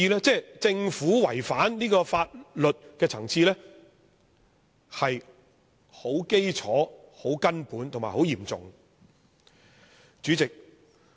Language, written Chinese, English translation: Cantonese, 政府違反這項法律的層次是很基礎、很根本和很嚴重的。, The violation of this statutory requirement by the Government is a fundamental paramount and serious one